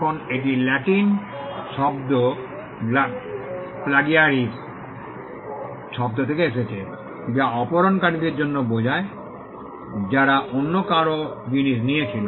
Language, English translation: Bengali, Now this comes from Latin word plagiaries, which stands for kidnappers somebody who took somebody else’s things